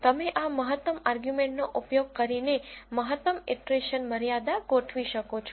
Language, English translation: Gujarati, You can set a maximum iteration limit using this ITER max argument